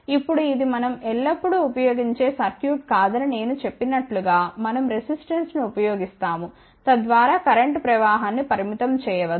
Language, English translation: Telugu, Now, as I mentioned that this is not the circuit which we always use we do use resistance so, that we can limit the current flow through that